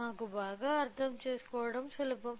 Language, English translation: Telugu, So, easy for us to understand fine